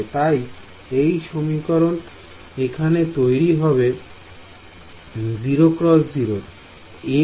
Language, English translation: Bengali, So, this 2nd equation over here becomes 0 times 0 times no